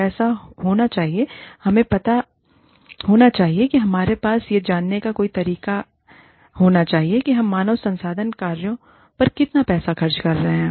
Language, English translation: Hindi, The money should be, we know, we should have some way of knowing, how much money, we are spending on human resources functions